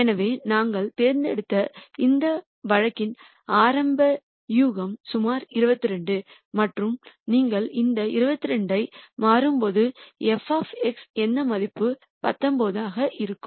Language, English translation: Tamil, So, initial guess in this case that we have chosen is about 2 2 and f of X naught value when you substitute this 2 2 is 19